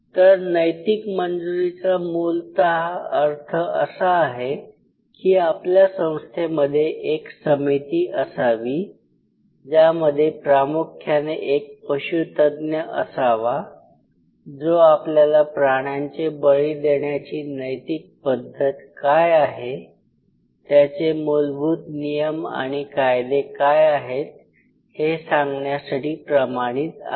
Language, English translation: Marathi, So, ethical clearance essentially means your institute should have a body which essentially have to have a veterinarian, who is certified to tell you that what are the ethical practice of sacrificing animal, what are the basic rules and norms and regulation